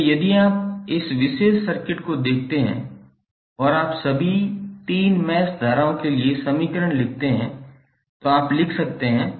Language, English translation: Hindi, So if you see this particular circuit and you write the equations for all 3 mesh currents what you can write